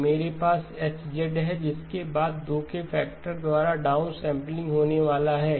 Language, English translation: Hindi, So I have H of Z, which is going to be followed by a downsampling by a factor of 2